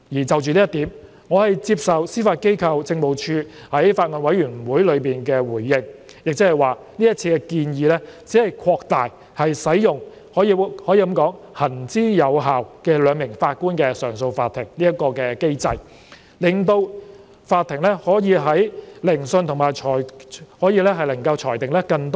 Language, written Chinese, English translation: Cantonese, 就着這一點，我接受司法機構政務處在法案委員會中的回應，即這次建議只是擴大使用行之有效、由兩名法官組成的上訴法庭的機制，令法庭可以聆訊和裁定更多案件。, On this point I accept the response made by the Judiciary Administration in the Bills Committee meeting that this proposal simply extends the use of the well - established two - JA bench mechanism to enable the courts to hear and determine more cases